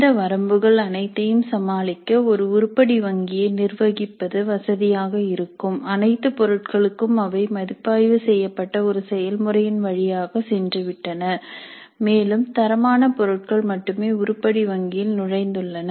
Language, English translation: Tamil, Now in order to overcome all these limitations it would be convenient to have an item bank which has been curated which has gone through where all the items have gone through a process by which they are reviewed and the quality items only have entered the item bank